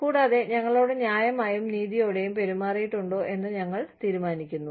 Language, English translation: Malayalam, And, we decide, whether we have been treated, fairly and justly